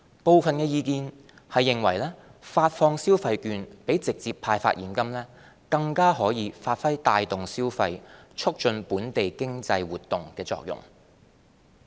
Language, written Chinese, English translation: Cantonese, 部分意見認為發放消費券比直接派發現金，更可發揮帶動消費、促進本地經濟活動的作用。, There are views that issuing consumption vouchers is more effective in boosting consumption and promoting local economic activities than handing out cash